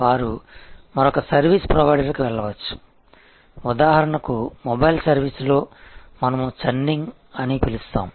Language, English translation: Telugu, They can go to another service provider, which in for example, in mobile service, we call churning